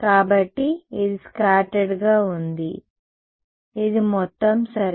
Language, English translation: Telugu, So, this is scattered this is total ok